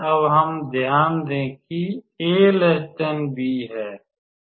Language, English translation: Hindi, Now we note that a is less than b